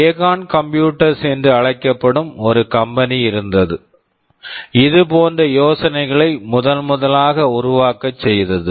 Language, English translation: Tamil, There was a company called Acorn computers which that was the first to develop and evolve such ideas